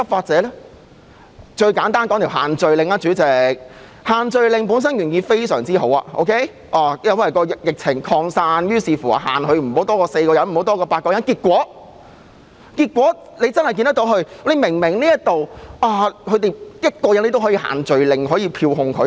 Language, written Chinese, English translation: Cantonese, 主席，以限聚令為例，限聚令原意很好，因為疫情擴散，限制市民聚集不可多於4人，後期不可多於8人，結果我們看到，即使對於1個人，警方也可以用限聚令來票控他。, Due to the spread of the disease gatherings of four or more people were banned . Gatherings of no more than eight people were subsequently permitted . Consequently we have seen the Police invoke social gathering restrictions and issue a penalty ticket against a person on his own